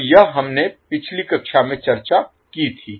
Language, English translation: Hindi, So, this is what we discuss in the last class